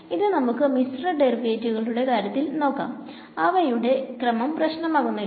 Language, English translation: Malayalam, So, the in these in mixed derivatives as they are called this order does not matter